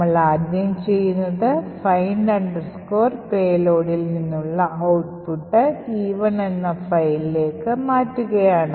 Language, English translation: Malayalam, The first thing we do is to put the output from find payload into some file E1